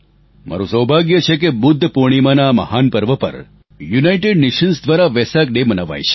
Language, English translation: Gujarati, I feel fortunate that the occasion of the great festival of Budha Purnima is celebrated as Vesak day by the United Nations